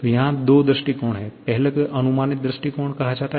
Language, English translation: Hindi, So, there are two approaches, the first one is called approximate approach